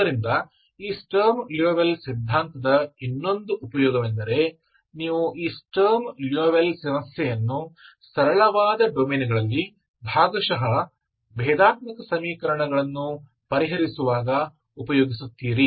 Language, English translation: Kannada, So another use of this sturm louisville theory is you try to extract these sturm louisville problem when you solve partial differential equations in a simpler domains, that we will do in the future videos, okay